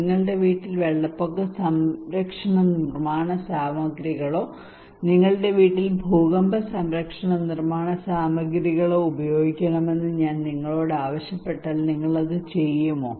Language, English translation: Malayalam, If I ask you that please use flood protective building materials in your house or earthquake protective building materials in your house will you do it